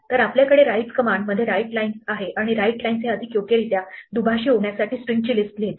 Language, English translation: Marathi, So, we have a write command in a writelines and writelines are more correctly to be interpreters write list of strings